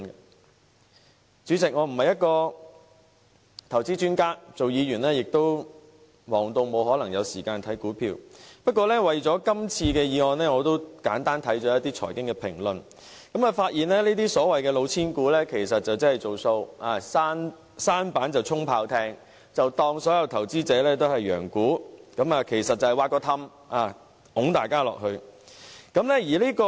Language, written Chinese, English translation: Cantonese, 代理主席，我不是投資專家，擔任議員亦已忙碌得沒有時間留意股票，但為了這次議案辯論，我簡單地看過一些財經評論，發現這些所謂"老千股"，其實是"造數"，"舢舨充炮艇"，把投資者當作羊牯，挖一個洞把他們推下去。, And as a Legislative Council Member I am already so occupied that I cannot spare any time for the stock market . But I have glanced through certain financial commentaries in preparation for this motion debate and found that the cheating shares are actually bluffers that resort to the falsification of figures . Regarding investors as dupes they want to lure them into their pit